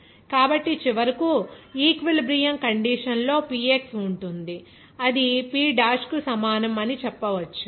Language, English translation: Telugu, So, finally, at the equilibrium condition, you can say that Px will be is equal to P dash